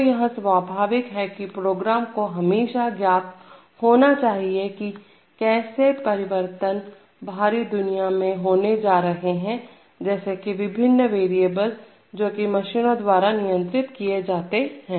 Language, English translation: Hindi, So, obviously the program has to be always aware of what changes are taking place in the external world, namely the various variables that are being controlled in the machines